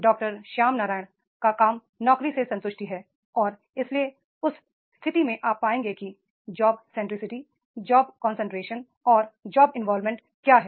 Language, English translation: Hindi, Sharma Ryan's work is on these only, job satisfaction and therefore in that case you will find that is the what is the job centricity, job concentration and then what is the job involvement